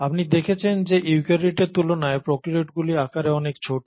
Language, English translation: Bengali, You find that prokaryotes are fairly smaller in size compared to eukaryotes which are much larger